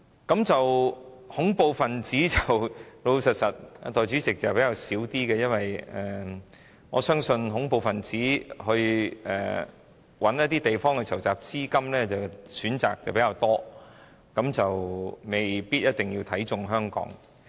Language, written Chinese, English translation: Cantonese, 代理主席，老實說，恐怖分子方面的問題比較少，因為恐怖分子如要找地方籌集資金，選擇比較多，未必看中香港。, Deputy President frankly speaking the problems concerning terrorists are less serious . Terrorists can pick other places for raising funds and they may not necessarily choose Hong Kong